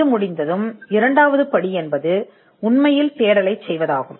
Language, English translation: Tamil, Once this is done, the second step will be to actually do the search